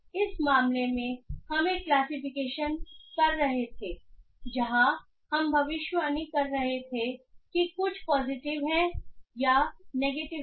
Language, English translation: Hindi, So, in this case we were doing a classification where we predicting that whether something belongs to positive or negative